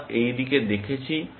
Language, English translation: Bengali, We have looked at this